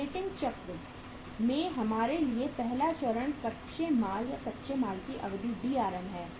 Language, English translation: Hindi, First stage for us in the operating cycle is the Drm duration of the raw material or raw material duration